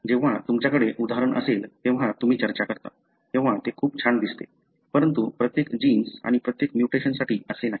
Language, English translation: Marathi, So, when you have an example, when you discuss it looks so nice, but it is not the case for every gene and, and every mutation